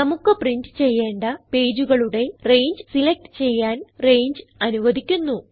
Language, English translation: Malayalam, Range allows us to select the range of pages that we want to print